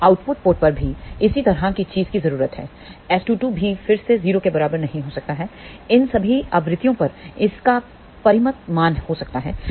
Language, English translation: Hindi, Now, the similar thing needs to be done at the output port also S 2 2 also again may not be equal to 0; at all these frequencies, it may have a finite value